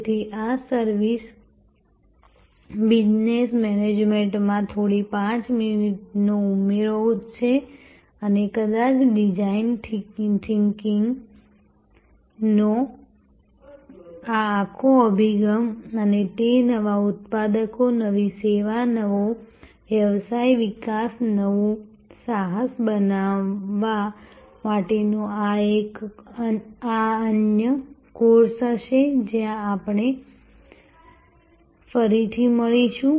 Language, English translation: Gujarati, So, this is a little 5 minutes add on to service business management and perhaps, this whole approach of design thinking and it is application to new products, new service, new business development, new venture creation will be another course, where we will meet again